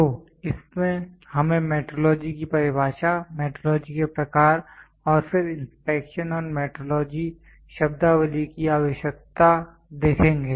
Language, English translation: Hindi, So, in this we will see metrology definition, metrology types then need for inspection and metrology terminologies